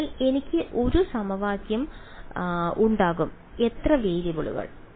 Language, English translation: Malayalam, So, I will have 1 equation how many variables